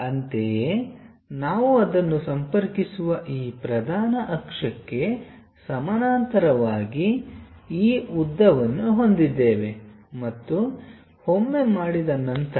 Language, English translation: Kannada, Similarly, we have this length parallel to this principal axis we connect it, this one and this one once that is done